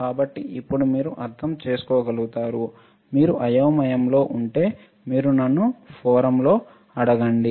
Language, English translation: Telugu, So, now, you should be able to understand, still if you are confused, you ask me in the forum